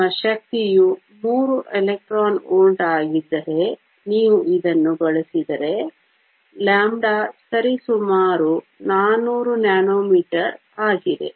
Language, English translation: Kannada, If you use this if your energy is 3 electron volts, then lambda is approximately 400 nanometers